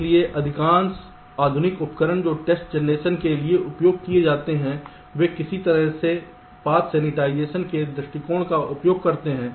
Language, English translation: Hindi, so most of the modern tools that are used for test generation they use some kind of ah path sanitization approach